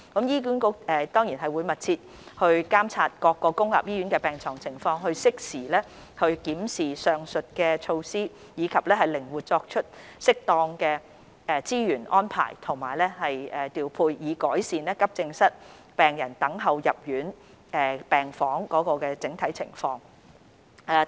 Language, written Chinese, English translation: Cantonese, 醫管局會繼續密切監察各公立醫院的病床情況，適時檢視上述措施，以及靈活作出適當的資源安排及調配，以改善急症室病人等候入住病房的整體情況。, HA will continue to closely monitor the utilization of beds in public hospitals review the above measures in a timely manner and make flexible arrangements and deployment of resources as appropriate to shorten the waiting time of AE patients for hospital admission